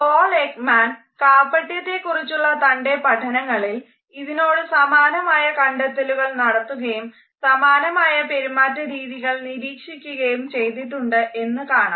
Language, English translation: Malayalam, Later on we find that Paul Ekman in his independent research also came to similar findings and observed similar behaviors while he was studying deception